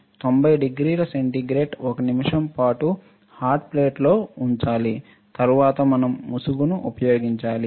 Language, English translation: Telugu, So, 90 degree centigrade, 1 minute on hot plate correct, then we use mask we load the mask load the mask